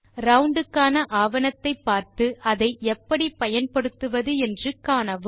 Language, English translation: Tamil, Look up the documentation of round and see how to use it